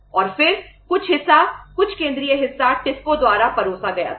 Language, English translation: Hindi, And then some part was, some central part was served by TISCO